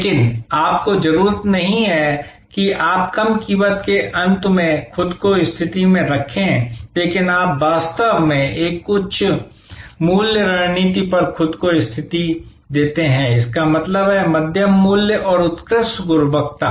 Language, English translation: Hindi, But, you need did not therefore position yourself at a low price end, but you put actually position yourself at a high value strategy; that means, medium price and excellent quality delivered